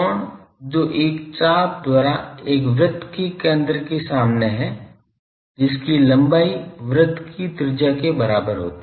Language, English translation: Hindi, The angle subtended at the centre of a circle by an arc whose length is equal to the radius of the circle